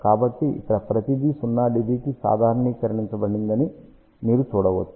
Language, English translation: Telugu, So, we can see that here everything is normalized to 0 dB ok